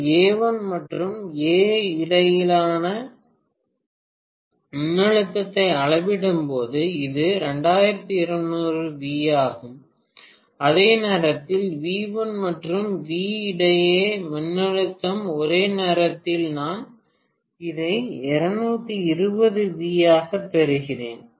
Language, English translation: Tamil, When I measure the voltage between A1 and A, this was 2200 V, whereas voltage between V1 and V at the same instant, I am talking about the same instant, if I am measuring, I am getting this as 220 V, fine